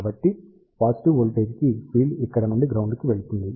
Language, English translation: Telugu, So, for positive voltage field will be going from here to the ground